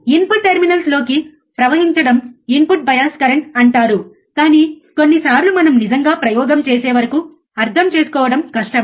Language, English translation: Telugu, Flowing into the input terminals is called the input bias current, but sometimes it is difficult to understand until we really perform the experiment